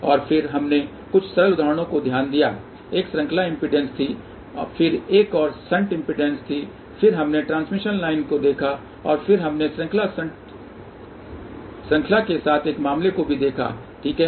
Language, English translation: Hindi, And then we did look at a few simple examples, one was series impedance, then another one was shunt impedance, then we looked at the transmission line, and then we also looked at one case with consisted of series shunt series, ok